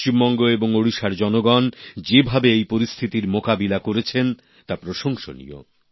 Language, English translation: Bengali, The courage and bravery with which the people of West Bengal and Odisha have faced the ordeal is commendable